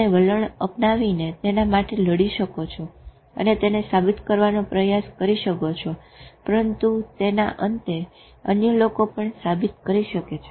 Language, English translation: Gujarati, You can take a stance and fight for it and try to prove it but at the end of it other people can also prove